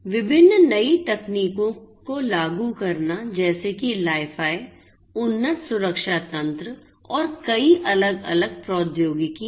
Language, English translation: Hindi, Implementing different newer technologies such as Li – Fi, advanced security mechanisms and many different other technologies